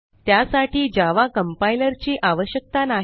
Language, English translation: Marathi, We do not need java compiler as well